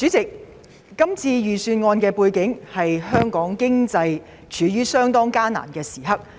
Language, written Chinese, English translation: Cantonese, 主席，這份財政預算案發表時，香港經濟正正處於艱難時刻。, President this Budget was delivered amid a difficult time for the Hong Kong economy